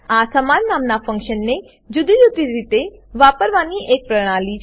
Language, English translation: Gujarati, It is the mechanism to use a function with same name in different ways